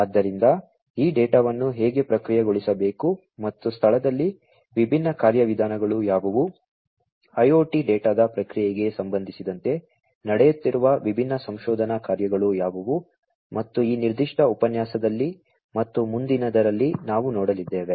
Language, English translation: Kannada, So, how this data has to be processed and what are the different mechanisms in place, what are the different research works that are going on in terms of processing of IoT data and so on is what we are going to look at in this particular lecture and the next